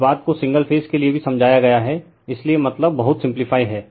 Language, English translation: Hindi, This thing has been explained also for single phase right, so meaning is very simple